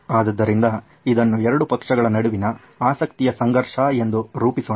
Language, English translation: Kannada, So let’s frame it as a conflict of interest between these 2 parties